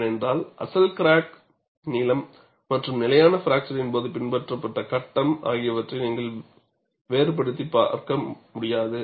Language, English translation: Tamil, This is because you will not be able to distinguish between original crack length and the phase followed during stable fracture